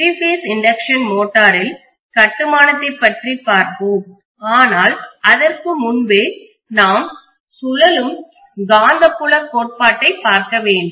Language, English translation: Tamil, So we will be first looking at three phase induction motor in three phase induction motor we will be looking at construction but even before that we should look at revolving magnetic field theory